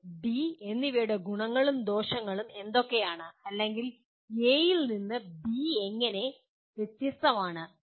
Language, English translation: Malayalam, What are the advantages and disadvantages of A and B or in what way A differs from B